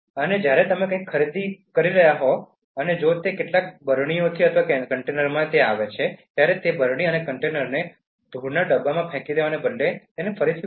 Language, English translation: Gujarati, And when you are buying something and if it comes in some jars or containers, reuse jars and containers instead of throwing them in dust bins